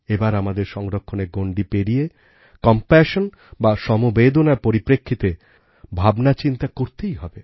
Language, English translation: Bengali, But, we now have to move beyond conservation and think about compassion